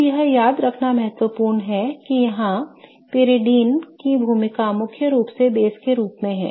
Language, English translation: Hindi, Now, it is important to remember that the role of pyridine here is mainly to act as a base